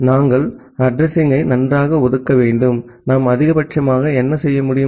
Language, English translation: Tamil, We have to allocate the address well, what we can maximum do